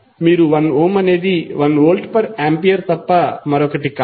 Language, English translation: Telugu, You will say 1 Ohm is nothing but 1 Volt per Ampere